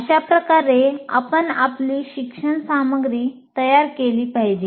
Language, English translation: Marathi, So that is how you have to prepare your instructional material